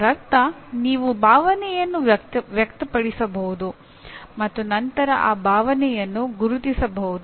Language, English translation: Kannada, That means you can express emotion and then recognize that emotion